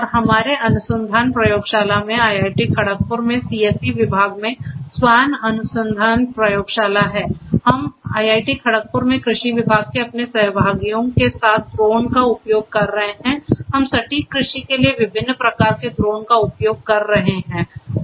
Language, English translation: Hindi, And in our research lab the SWAN research lab in the department of CSE at IIT Kharagpur we are also using drones along with our colleagues from agricultural department at IIT Kharagpur we are using drones of different types for precision agriculture